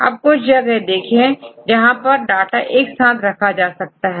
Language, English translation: Hindi, So, now you show some places you can get the data together